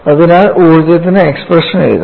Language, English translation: Malayalam, So, now, we have the expression for energy